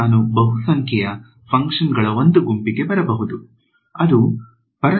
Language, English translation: Kannada, And, I can arrive at a set of functions that are polynomial function which are all orthogonal to each other ok